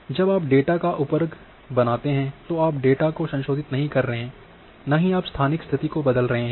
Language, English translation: Hindi, When you made the subset of the data you are not modifying the data, neither you are changing their spatial location